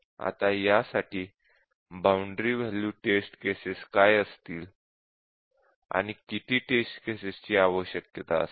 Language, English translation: Marathi, Now what would be the boundary value test cases for this, and how many test cases will be needed